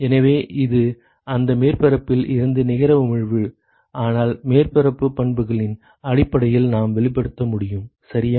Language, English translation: Tamil, So, it is the net emission from that surface, but that we can express in terms of the properties of the surface right